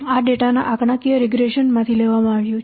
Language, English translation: Gujarati, This is derived from the statistical regression of data